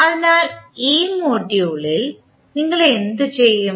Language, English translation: Malayalam, So, what we will do in this module